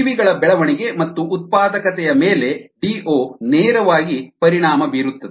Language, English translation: Kannada, d o directly affects the growth and productivity of organisms